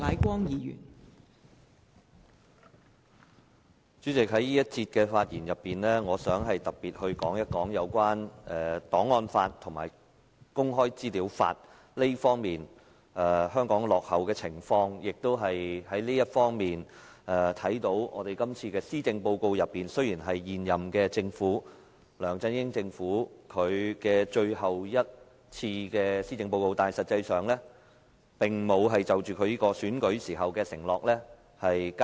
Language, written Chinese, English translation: Cantonese, 代理主席，在這辯論環節中，我想特別談談有關香港在檔案法和公開資料法方面落後的情況，而從這方面可見，今次這份施政報告雖然是現屆政府，即梁振英政府最後一份的施政報告，但實際上他並沒有兌現競選時所作的承諾。, Deputy President in this debate session I wish to particularly talk about Hong Kongs lag in respect of archives law and legislation on access to information and from this we can see that while this Policy Address is the last of the current - term Government or LEUNG Chun - yings administration he actually has not honoured the promises he made when he was running in the election